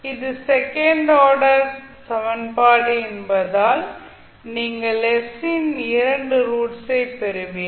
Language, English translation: Tamil, So since it is a second order equation you will get two roots of s